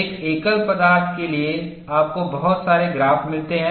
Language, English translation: Hindi, For one single material you get so many graphs